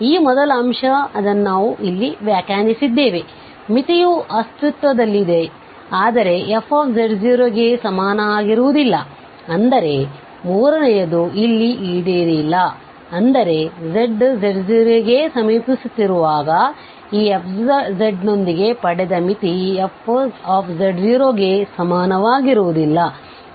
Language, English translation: Kannada, So, what is this so, if this limit exists, so, this first point which we have defined there so, the limit exists, but it is not equal to f z naught that means, the third one is not fulfilled here that this f z naught is not equal to the limit which we got with this f z as z approaches to z naught